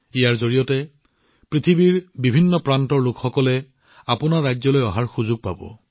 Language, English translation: Assamese, During this period, people from different parts of the world will get a chance to visit your states